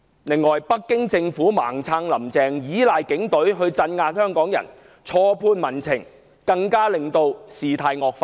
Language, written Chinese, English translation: Cantonese, 此外，北京政府"盲撐""林鄭"，倚賴警隊鎮壓香港人，錯判民情，更令事態惡化。, Meanwhile the Beijing Government has misjudged public sentiment and aggravated the situation by blindly supporting Carrie LAM and relying on the Police Force to suppress Hongkongers